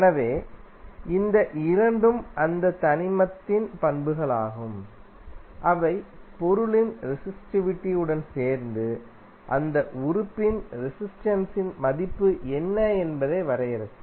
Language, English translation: Tamil, So, this 2 are the properties of that element with the resistivity of the material will define, what is the value of resistances of that element